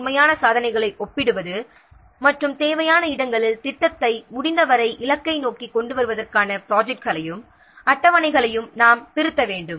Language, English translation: Tamil, Comparison of actual achievement against the scheduled one and wherever necessary we have to revise the plans and the schedules to bring the project as far as the as possible back on target